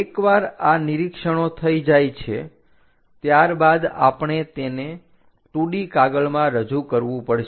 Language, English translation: Gujarati, Once these observations are done we have to represent that on the 2 D sheet